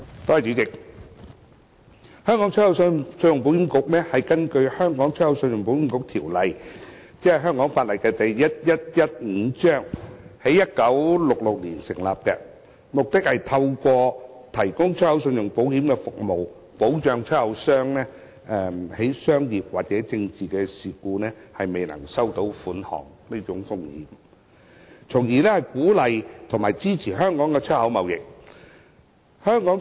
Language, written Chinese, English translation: Cantonese, 主席，香港出口信用保險局根據《香港出口信用保險局條例》，即香港法例第1115章，在1966年成立，目的是透過提供出口信用保險服務，保障出口商因商業或政治事故，未能收取款項的風險，從而鼓勵和支持香港出口貿易。, President the Hong Kong Export Credit Insurance Corporation ECIC was established in 1966 under the Hong Kong Export Credit Insurance Corporation Ordinance that is Chapter 1115 of the laws of Hong Kong . It was created by statute with the aim of encouraging and supporting export trade by providing Hong Kong exporters with insurance protection against non - payment risks arising from commercial and political events